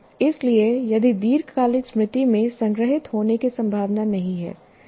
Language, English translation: Hindi, But that is no guarantee that it is actually stored in the long term storage